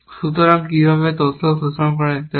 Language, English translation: Bengali, So, how can be exploit this information